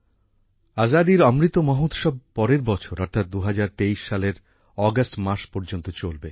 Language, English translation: Bengali, The Azadi Ka Amrit Mahotsav will continue till next year i